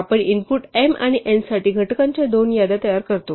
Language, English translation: Marathi, We construct two lists of factors for the inputs m and n